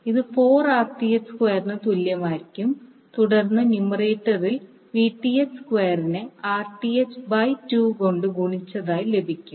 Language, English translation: Malayalam, This will be equal to 4Rth square and then in numerator you will get Vth square into Rth by 2